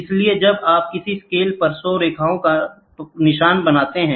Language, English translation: Hindi, So, when you draw 100 lines marks on a scale